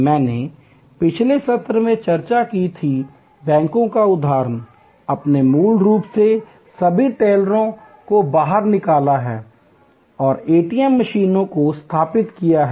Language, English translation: Hindi, I discussed in a previous session, the example of banks, you have originally moved all the tailors out and installed ATM machines